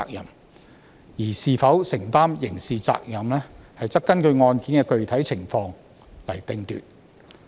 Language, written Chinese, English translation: Cantonese, 然而，是否承擔刑事責任，須根據案件的具體情況決定。, However whether the person has criminal liability has to be assessed based on the actual circumstances of each case